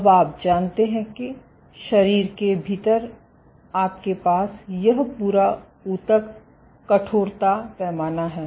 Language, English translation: Hindi, Now you know that within the body you have this intact tissue stiffness scale right